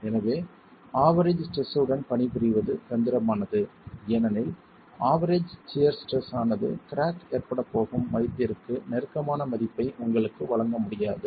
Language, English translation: Tamil, So, working with the average shear stress is tricky because the average shear stress might not be able to give you a value that is close to the value for which cracking is going to occur